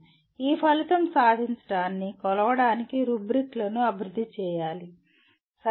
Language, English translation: Telugu, Rubrics need to be developed to measure the attainment of this outcome, okay